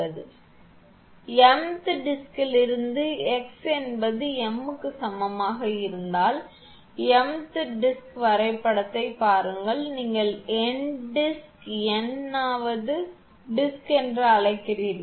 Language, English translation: Tamil, From for m th disk if x is equal to m I mean for m th disk look at the diagram you have n number of disk n th disk which is called as m th disk